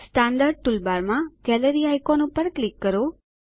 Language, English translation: Gujarati, Click on the Gallery icon in the standard toolbar